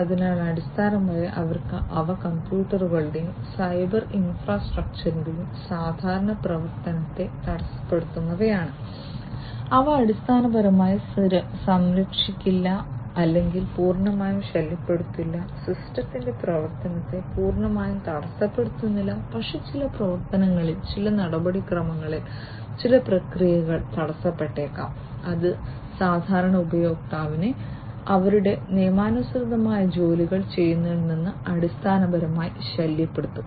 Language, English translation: Malayalam, So, these are the ones that basically they disrupt the normal operation of the computers and the cyber infrastructure, and they will they may or they may not basically protect or they may not disturb completely, they may not disrupt the functioning of the system completely but at certain operations, certain procedures, certain processes might be disrupted and that will basically disturb the regular user from performing their legitimate tasks